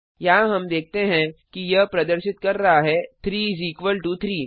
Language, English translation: Hindi, Here we see it is showing 3 is equal to 3